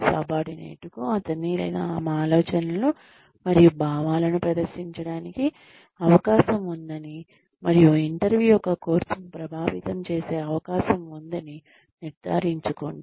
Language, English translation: Telugu, Ensure, that the subordinate has the opportunity, to present his or her ideas and feelings, and has a chance to influence the course of the interview